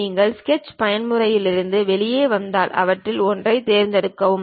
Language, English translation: Tamil, If you come out of sketch mode pick one of them